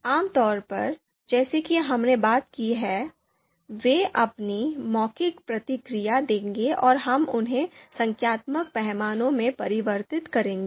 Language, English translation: Hindi, So typically as we have talked about, they will give their verbal response and we will be converting them into numeric numerical scales